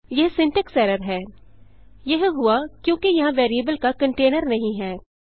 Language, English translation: Hindi, This is a syntax error it occured, as there is no container of variable